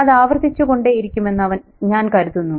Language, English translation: Malayalam, I think that would keep on recurring